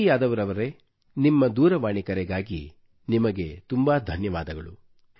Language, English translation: Kannada, Chhavi Yadav ji, thank you very much for your phone call